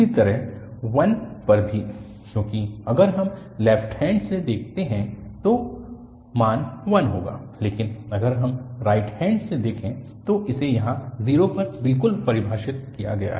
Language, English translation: Hindi, Similarly, at 1 also, because if we look from left hand side the value will be 1, but if we look from the right hand side or this is exactly defined here at 0